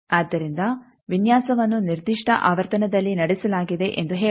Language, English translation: Kannada, So, let us say that design has been carried out at a certain frequency